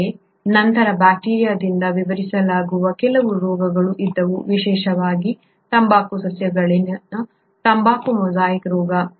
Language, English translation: Kannada, But then there were a few diseases which could not be explained by bacteria, especially the tobacco mosaic disease in tobacco plants